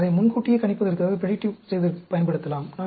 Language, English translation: Tamil, We can use it for predictive